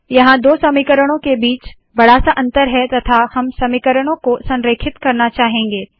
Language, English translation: Hindi, There is a large gap between the two equations and also we may want to align the equations